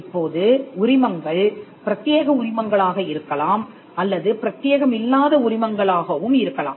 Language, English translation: Tamil, Now, licenses can be exclusive licenses; they can also be non exclusive licenses